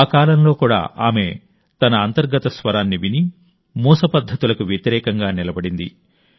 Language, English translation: Telugu, Even during that period, she listened to her inner voice and stood against conservative notions